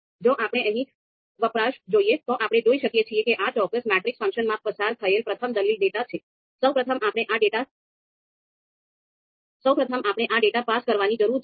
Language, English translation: Gujarati, So so of course if you look at the usage here, then you can see the first argument that is passed in this particular matrix function is data